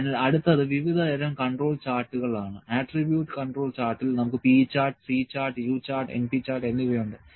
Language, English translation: Malayalam, So, the next is types of control charts; in attribute control charts we have p chart, C chart, U chart and np chart